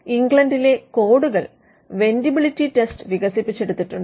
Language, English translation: Malayalam, And the codes also in England developed what is called the vendibility test